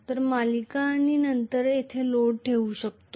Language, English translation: Marathi, So, I can put the series and then the load here